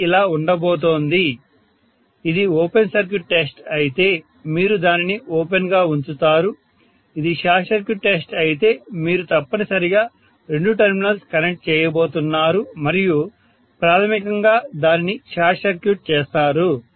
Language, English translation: Telugu, If it is open circuit test you will leave it open, if it is short circuit test, you are going to connect essentially, the two terminals and short circuit it basically